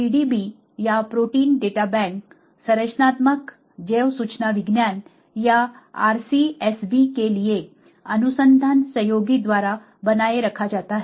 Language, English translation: Hindi, The PDB or protein data bank is maintained by the research collaboratory for structural bioinformatics or RCSB